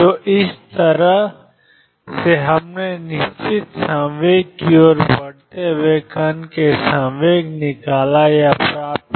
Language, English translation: Hindi, So, this is how we extracted or got the moment out of the particle moving to the definite momentum